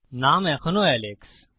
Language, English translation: Bengali, The name is still Alex